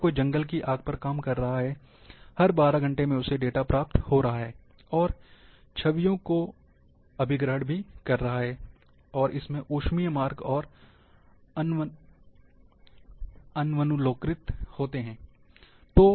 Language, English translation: Hindi, If somebody is working for a forest fire, at every 12 hours,acquiring data and capturing images, and these sensors are having thermal channels